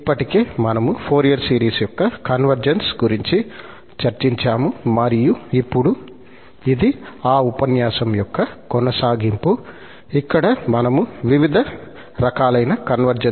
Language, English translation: Telugu, So, we have already discussed the convergence of Fourier series and now this is a continuation of that lecture, where we will consider different kind of convergences